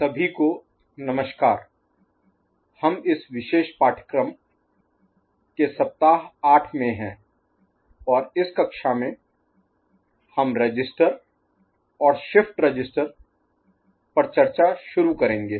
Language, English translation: Hindi, Hello everybody, we are in week 8 of this particular course and in this class, we shall start discussion on Register and Shift Register